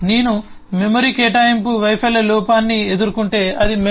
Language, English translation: Telugu, h if I come across a memory allocation failure error it will be limited to memory